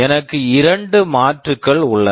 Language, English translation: Tamil, I have two alternatives